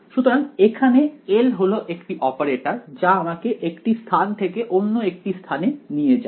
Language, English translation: Bengali, So, L over here is the operator that takes one space to another space